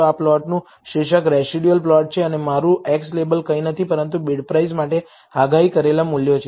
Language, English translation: Gujarati, The title for this plot is residual plot and my x label is nothing, but predicted values for bid price